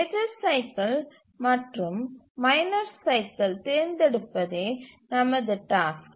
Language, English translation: Tamil, Now our task is to choose the major cycle and the minus cycle